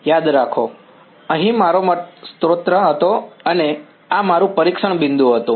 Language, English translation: Gujarati, Remember, here, this was my source and this was my testing point